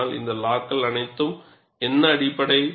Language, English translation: Tamil, But for all these laws, what is the basis